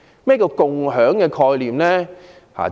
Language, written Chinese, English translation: Cantonese, 何謂"共享"概念？, What does it mean by sharing?